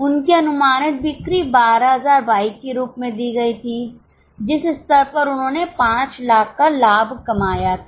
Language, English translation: Hindi, Their estimated sales were given as 12,000 bikes at which level they had earned a profit of Philex